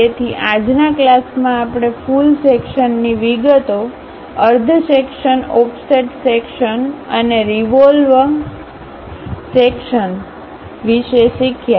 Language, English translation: Gujarati, So, in today's class we have learned about full section details, half section, offset section and revolve sections